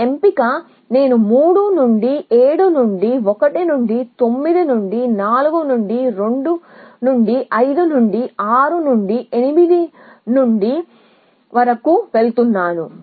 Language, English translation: Telugu, This choice I that I am going from 3 to 7 to 1 to 9 to 4 to 2 to 5 to 6 to 8